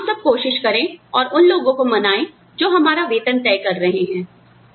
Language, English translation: Hindi, Let us all, try and convince people, who are deciding our salaries